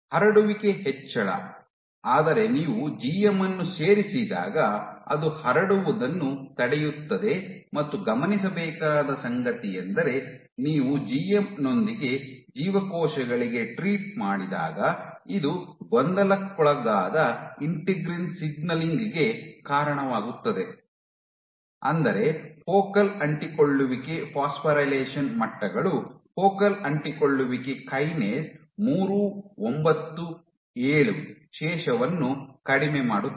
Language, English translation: Kannada, Your spreading increase you add GM it inhibits spreading and what has been observed is when you treat cells with GM this leads to perturbed integrin signaling, in other words your focal adhesion phosphorylation levels of focal adhesion kinase 397 residue is dropped